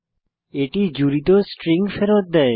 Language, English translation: Bengali, It returns a string of joined elements